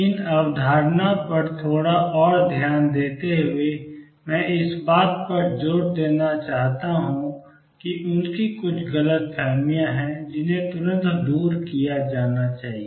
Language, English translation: Hindi, Just dwelling on this concept little more I want to emphasize that their some misconceptions that should be cleared right away